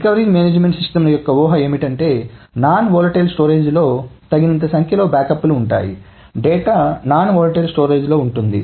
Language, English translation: Telugu, The assumption for recovery management systems is that there will be adequate number of backups of the non volatile storage, data in the non volatile storage